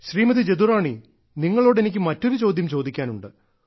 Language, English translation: Malayalam, Jadurani ji, I have different type of question for you